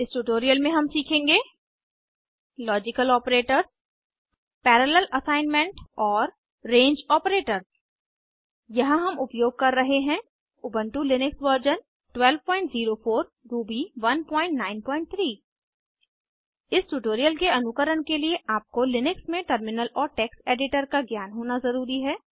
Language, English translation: Hindi, In this tutorial we will learn Logical Operators Parallel assignment and Range Operators Here we are using Ubuntu Linux version 12.04 Ruby 1.9.3 To follow this tutorial you must know how to use Terminal and Text editor in Linux